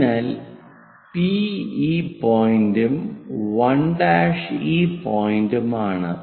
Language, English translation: Malayalam, So, P point is that, and 1 prime is that